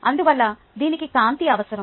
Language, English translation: Telugu, therefore, it needs light